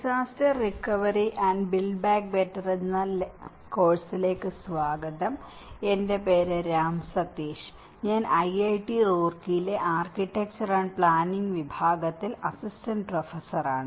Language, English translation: Malayalam, Welcome to the course, disaster recovery and build back better; my name is Ram Sateesh, Assistant Professor, Department of Architecture and Planning, IIT Roorkee